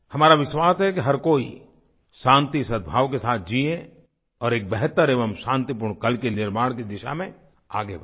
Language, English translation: Hindi, We believe that everyone must live in peace and harmony and move ahead to carve a better and peaceful tomorrow